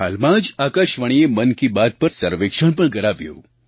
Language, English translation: Gujarati, Recently, All India Radio got a survey done on 'Mann Ki Baat'